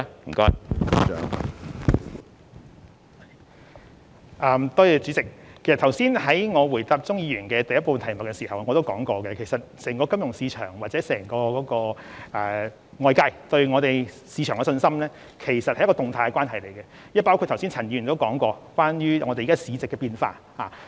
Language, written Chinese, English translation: Cantonese, 我剛才在回應鍾議員質詢第一部分時已指出，整體金融市場及外界對本地市場的信心，其實是一種動態的關係，這亦包括了陳議員剛才所指出的市值變化。, As I have already pointed out in my reply to part 1 of Mr CHUNGs question when it comes to the financial market and external confidence in our market a dynamic relationship is actually involved and this can also be reflected in the changes in market capitalization as pointed out by Mr CHAN just now